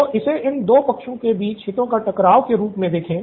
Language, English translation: Hindi, So let’s frame it as a conflict of interest between these 2 parties